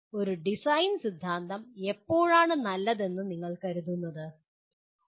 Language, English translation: Malayalam, So when do you consider a design theory is good